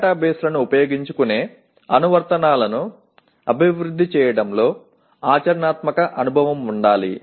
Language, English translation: Telugu, Have practical experience of developing applications that utilize databases